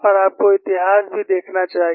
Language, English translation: Hindi, And you should also look at the history